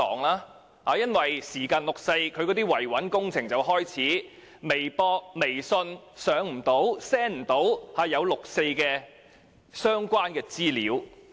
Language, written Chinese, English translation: Cantonese, 每逢臨近六四，維穩工程便會開始，例如不能透過微博、微訊上載和 send 關於六四的資料。, Whenever 4 June is round the corner stability preservation campaigns will begin . For instance information about 4 June cannot be uploaded onto or sent through Weibo and WeChat